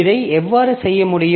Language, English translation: Tamil, So, how this can be done